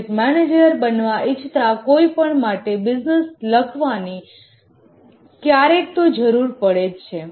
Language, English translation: Gujarati, Almost anybody aspiring to become a project manager needs to write a business case sometime or other